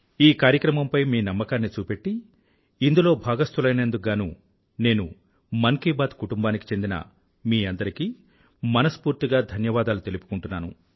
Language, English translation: Telugu, I express my gratitude to the entire family of 'Mann Ki Baat' for being a part of it & trusting it wholeheartedly